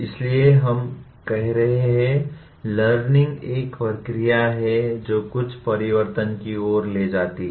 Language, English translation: Hindi, So, what we are saying is learning is a process that leads to some change